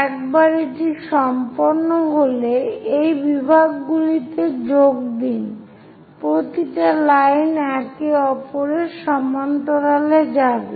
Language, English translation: Bengali, Once it is done, join these divisions, one go parallel to that line